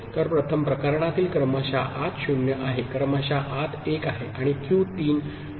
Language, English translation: Marathi, So, the first case serial in is 0 serial in is 1 and Q 3 is 0